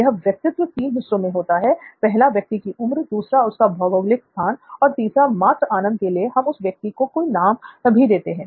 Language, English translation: Hindi, So the persona is in three parts one is the age of the person, second is the geography and third just for fun we will even name this person, ok